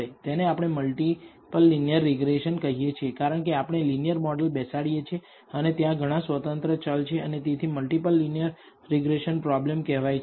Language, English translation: Gujarati, This is what we call multiple linear regression because we are fitting a linear model and there are many independent variables and we therefore, call the multiple linear regression problem